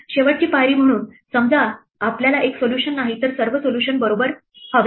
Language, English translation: Marathi, As a final step suppose we want not one solution, but all solutions right